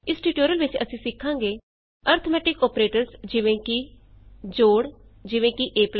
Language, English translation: Punjabi, In this tutorial, we will learn about Arithmetic operators like + Addition: eg